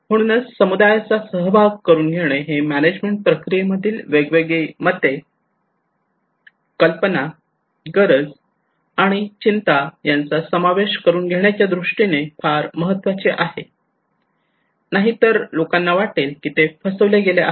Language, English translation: Marathi, So involving community is important in order to incorporate different perceptions, different ideas, needs, and concerns into the management process otherwise people feel that they are cheated